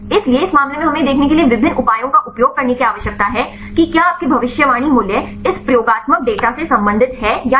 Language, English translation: Hindi, So, in this case we need to use different measures to see whether your predicted values are related with this experimental data